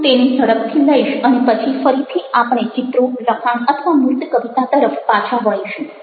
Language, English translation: Gujarati, i will quickly touch up on that and then we will move on again back to images and texts or concrete poetry